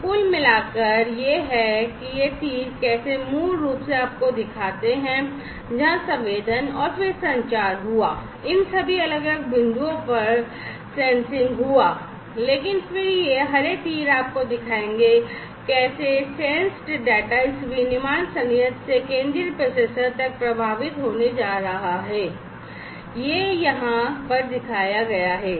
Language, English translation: Hindi, So, overall this is how this these arrows basically show you where the sensing and then the communication took place the sensing took place at all of these different points, but then these green arrows will show you how those sensed data are going to flow through this through this manufacturing plant to the central processor, this is what is shown over here